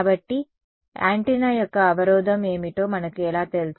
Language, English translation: Telugu, So, how do we know what is the impedance of the antenna